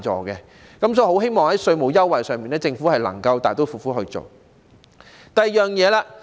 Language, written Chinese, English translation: Cantonese, 因此，我希望在稅務優惠上，政府能夠大刀闊斧地實行。, Therefore I hope that the Government can take a bold step forward in introducing tax concessions